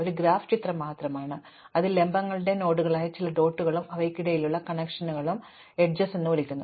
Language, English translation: Malayalam, A graph is just a picture, it consists of some dots which are nodes or vertices and some connections between them which are called edges